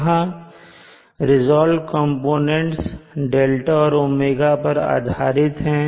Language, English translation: Hindi, Here the resolved components are in terms of d and